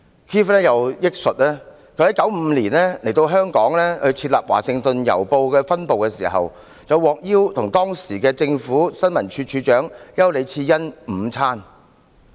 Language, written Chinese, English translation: Cantonese, Keith 又憶述，他在1995年來到香港設立《華盛頓郵報》的分部時，獲邀與當時的政府新聞處處長丘李賜恩午餐。, Keith also recalled that when he first came to Hong Kong in 1995 to set up the branch headquarters for The Washington Post he was invited to lunch with Mrs Irene YAU the then Director of Information Services of the Hong Kong Government